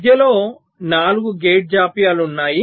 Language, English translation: Telugu, so there are four gate delays in between